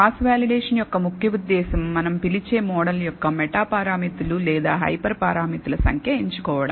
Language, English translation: Telugu, The main purpose of cross validation is to select what we call the number of meta parameters or hyper parameters of a model